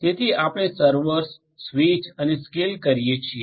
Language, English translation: Gujarati, So, servers switch and you scale up further